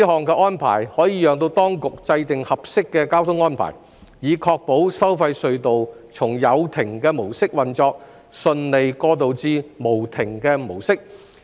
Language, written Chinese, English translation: Cantonese, 這項安排可讓當局制訂合適的交通安排，以確保收費隧道從有亭模式運作順利過渡至無亭模式。, This arrangement will allow the Administration to make appropriate traffic arrangement to ensure a smooth transition from booth mode to boothless mode at the tolled tunnels